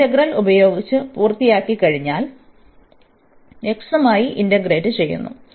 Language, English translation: Malayalam, And then once we are done with this integral, we will integrate with respect to x